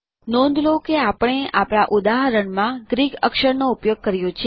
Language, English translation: Gujarati, Notice that we have used Greek characters in our example